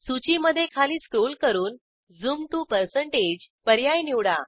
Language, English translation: Marathi, Scroll down the list and select Zoom to%